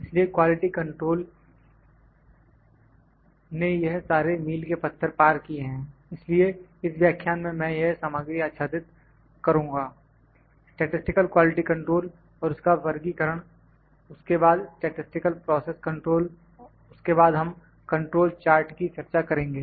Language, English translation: Hindi, So, quality control travels through these milestones so, the I will cover this content in this lecture the statistical quality control and its classification then statistical process control then we will discuss the control charts